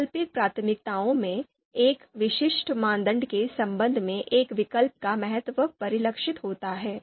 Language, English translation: Hindi, In the alternative priorities, importance of an alternative with respect to you know one specific criterion so that is reflected